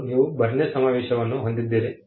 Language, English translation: Kannada, First you have the BERNE convention